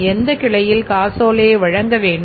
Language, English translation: Tamil, From which branch the check will be issued